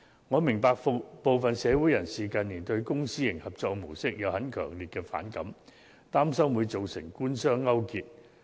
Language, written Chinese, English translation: Cantonese, 我明白部分社會人士近年對公私營合作模式有很強烈的反感，擔心會造成官商勾結。, I understand that some members of the public have developed strong feeling against the PPP mode in recent years fearing that this might give rise to collusion between the Government and the business sector